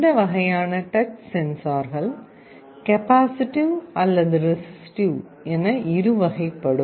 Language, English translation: Tamil, And broadly speaking this kind of touch sensors can be either capacitive or resistive